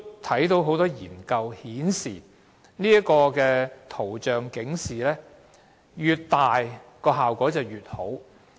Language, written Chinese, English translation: Cantonese, 從多項研究顯示，圖像警示越大，效果越佳。, According to a number of studies the impact is greater if the coverage of pictorial health warning is larger